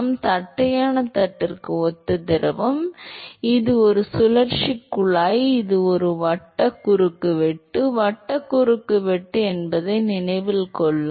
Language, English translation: Tamil, So, similar to flat plate the fluid is, note that it is a circulate tube, it is a circular cross section, circular cross section